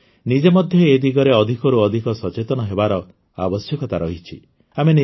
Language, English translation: Odia, We ourselves also need to be more and more aware in this direction